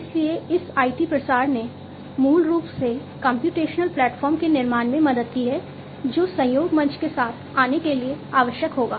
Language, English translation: Hindi, So, this IT proliferation has basically helped in building the computational platform that will be required for coming up with the collaboration platform